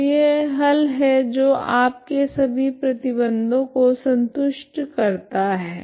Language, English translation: Hindi, So this is the solution that satisfy all the condition